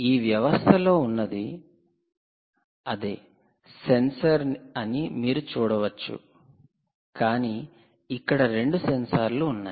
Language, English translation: Telugu, you will see that it is the same sensor that you saw here in this system, right, but there are two here